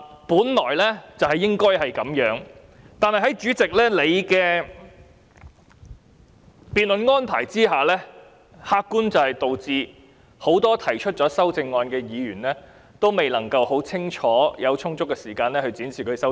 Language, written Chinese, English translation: Cantonese, 本來所有議員均應有機會發言，但在主席的辯論安排下，很多提出修正案的議員沒有充足時間，清楚闡述其修正案。, All Members should have been given the opportunity to speak but under the debate arrangement made by the President many Members who have proposed amendments do not have sufficient time to clearly elaborate on their amendments